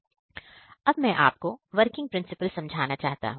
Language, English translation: Hindi, Now, I will explain the working principle